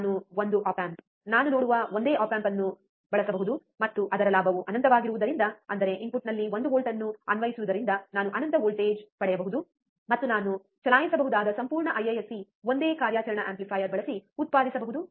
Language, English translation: Kannada, I can use one op amp, one single op amp I see, and since his gain is infinite; that means, applying one volt at the input, I can get infinite voltage, and whole IISC I can run the power can be generated using one single operational amplifier